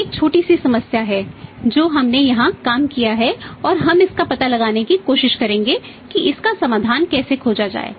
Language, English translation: Hindi, We have a small problem have we have worked out here and we will try to find it out that how to find the solution about it